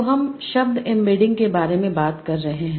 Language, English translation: Hindi, So we are talking about word embeddings